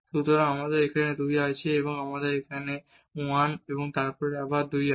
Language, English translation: Bengali, So, we have here 2 and here we have 1 and then 2 again